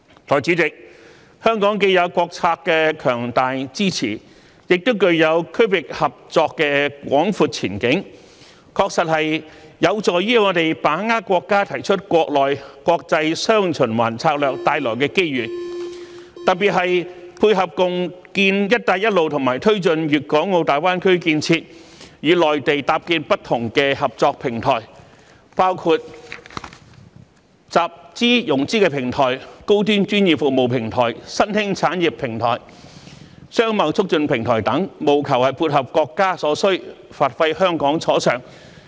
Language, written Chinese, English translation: Cantonese, 代理主席，香港既有國策的強大支持，亦具有區域合作的廣闊前景，確實有助於我們把握國家提出國內、國際"雙循環"策略帶來的機遇，特別是配合共建"一帶一路"和推進粵港澳大灣區建設，與內地搭建不同的合作平台，包括集資融資平台、高端專業服務平台、新興產業平台、商貿促進平台等，務求配合國家所需，發揮香港所長。, Deputy President the strong support of national policy and the broad prospects of regional cooperation have actually helped Hong Kong grasp the opportunities brought about by the countrys domestic and international dual circulation strategy particularly in contributing to the Belt and Road cooperation and promoting the development of GBA and creating different cooperation platforms with the Mainland including platforms for financing and fund raising high - end professional services emerging industries and trade facilitation in order to meet the needs of the country and capitalize on what Hong Kong is good at